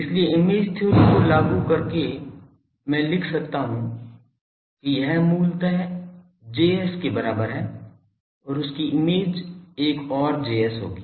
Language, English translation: Hindi, So, the by invoking image theory I can write that equivalent to this is; basically this Js and the image of that will be another Js